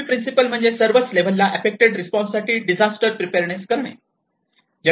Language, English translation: Marathi, So, the fifth principle, strengthen disaster preparedness for effective response at all levels